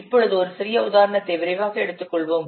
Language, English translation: Tamil, Now let's quickly take a small example